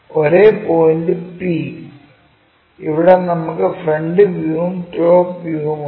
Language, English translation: Malayalam, The same point p, where we have both the front view and top view